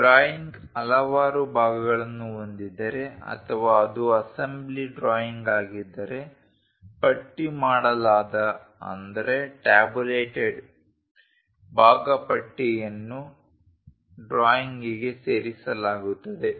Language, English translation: Kannada, If the drawing contains a number of parts or if it is an assembly drawing a tabulated part list is added to the drawing